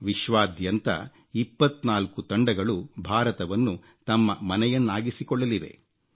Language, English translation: Kannada, Twentyfour teams from all over the world will be making India their home